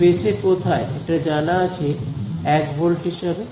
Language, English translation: Bengali, In space where all is it known to be 1 volt